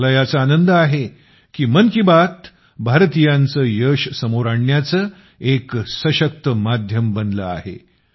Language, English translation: Marathi, I am glad that 'Mann Ki Baat' has become a powerful medium to highlight such achievements of Indians